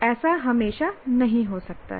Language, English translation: Hindi, It may not always happen that way